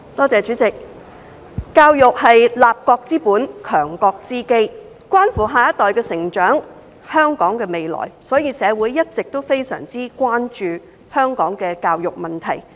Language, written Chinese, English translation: Cantonese, 主席，教育是立國之本、強國之基，關乎下一代的成長、香港的未來，所以社會一直非常關注香港的教育問題。, President education is the foundation of a country and the basis of national strength . It is crucial to the growth of our next generation and the future of Hong Kong . This is why the issue of education has always been of great concern to Hong Kong society